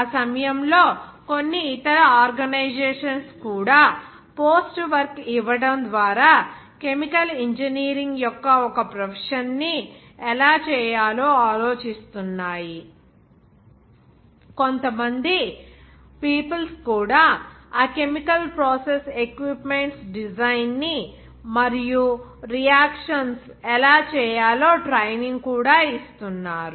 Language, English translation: Telugu, And at that time some other organization also was thinking about how to make that one profession of chemical engineering by giving some post work, some peoples also some new peoples are giving the training of that chemical process equipment design as well as those reactions